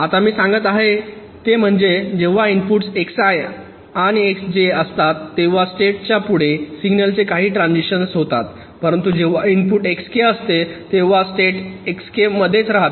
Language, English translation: Marathi, now what i am saying is that when the inputs are x i and x j, then some signal transition across states are happening, but when the input is x k, the state remains in s k